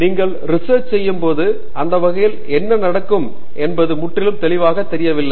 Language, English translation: Tamil, When you do research, it is completely unclear what will happen to that work after that